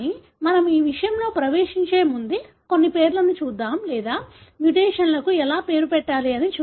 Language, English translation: Telugu, But before we get into that, let’s see some of the nomenclatures or how do we name the mutations